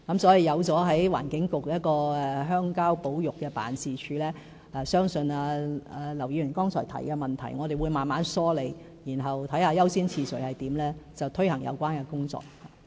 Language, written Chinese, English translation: Cantonese, 所以，透過在環境局轄下成立鄉郊保育辦公室，我們會慢慢梳理劉議員剛才提出的問題，然後視乎優先次序，推行有關工作。, So by establishing the Countryside Conservation Office under the Environment Bureau we will sort out the problems pointed out by Mr LAU step by step and then launch the tasks having regard to priority